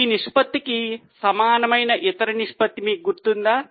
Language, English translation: Telugu, Do you remember any other ratio which is similar to this ratio